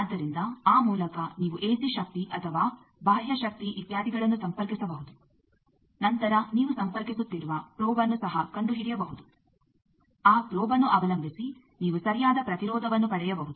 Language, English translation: Kannada, So, by that you can connect an AC power or external power etcetera then you can also find out the probe that you are connecting, depending on that probe, that you can get proper impedance